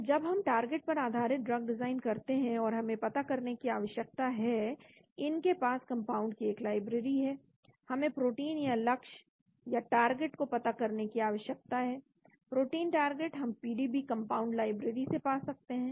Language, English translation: Hindi, So when we do the target based drug design, and we need to know, they have a compound library, we need to get the protein target, protein target we can get from the PDB